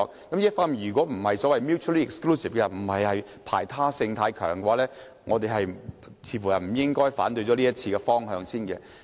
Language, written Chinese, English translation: Cantonese, 這些方面如果不是排他性太強，我們似乎不應該反對這項修訂規例的方向。, If these matters are not mutually exclusive it seems that we should not object to the direction of the Amendment Regulation